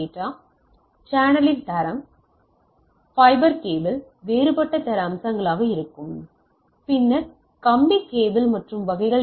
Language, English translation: Tamil, So, what is the quality of the channel right like, the fiber some fiber cable there will be a different quality aspect then if you have a wired cable and type of things